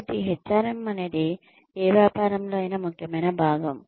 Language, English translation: Telugu, So, HRM is an essential integral part of any business